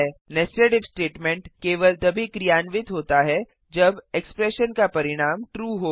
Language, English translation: Hindi, Netsed if statement is run, only if the result of the expression is true